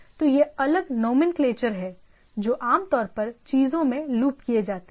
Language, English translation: Hindi, So, these are different nomenclature which are commonly looped into the things